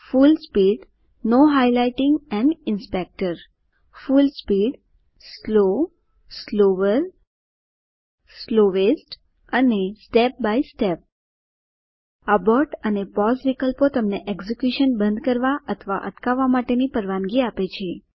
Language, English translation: Gujarati, Full speed, Full speed, Slow, Slower, Slowest and Step by Step Abort and pause options allow you to stop and pause the executions respectively